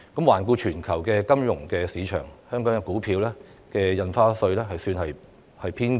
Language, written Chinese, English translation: Cantonese, 環顧全球金融市場，香港的股票印花稅水平算是偏高。, Among the global financial markets the rate of Stamp Duty levied in Hong Kong is on the high side